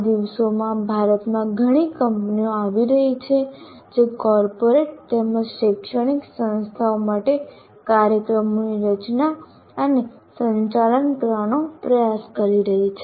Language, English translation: Gujarati, Now these days there are a number of companies that are coming up in India who are trying to design and conduct programs for the corporates as well as for the educational institutes